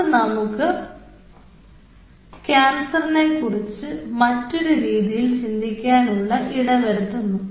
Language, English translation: Malayalam, so that brings us to a very different way of looking at cancer